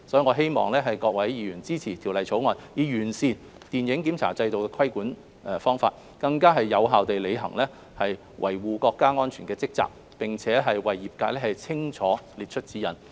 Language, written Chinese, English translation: Cantonese, 我希望各位議員支持《條例草案》，以完善電影檢查規管制度，更有效地履行維護國家安全的職責，並給予業界清晰指引。, I hope that Members will support the Bill which seeks to improve the regulatory approach of the film censorship regime to better fulfil the duty of safeguarding national security and to provide a clear guidance for the industry